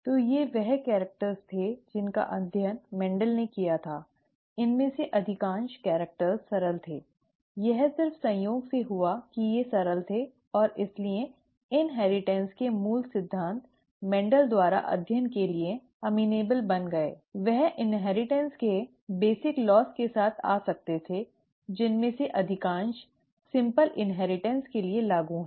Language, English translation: Hindi, So these were the characters that Mendel studied, most of these characters were rather simple, it just happened by chance that they were simple and therefore the basic principles of inheritance could be, became amenable to study by Mendel; he could come up with the basic laws of inheritance, most of which is, was applicable for simple inheritance